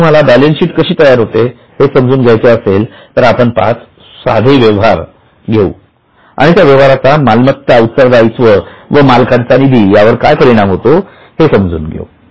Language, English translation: Marathi, Now, if you want to understand how the balance sheet is prepared, we will take five simple transactions and for that transactions, try to understand the impact on A, L and O